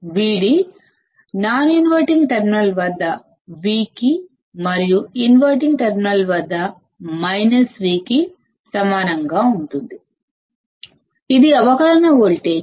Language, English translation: Telugu, Vd would be equal to V at the non inverting terminal and minus V at the inverting terminal; it is the differential voltage